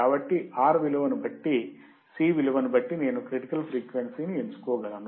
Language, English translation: Telugu, So, depending on the value of R, depending on the value of C, I can select my critical frequency